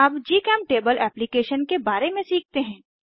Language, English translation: Hindi, Lets now learn about GChemTable application